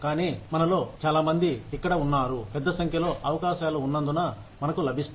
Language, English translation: Telugu, But, many of us, I think, most of us are here, because of the large number of opportunities, we get